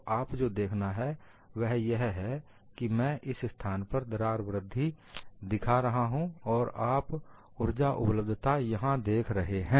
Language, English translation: Hindi, So, what you will have to look at is, I would be showing the crack growth in this place and you would be seeing the energy availability here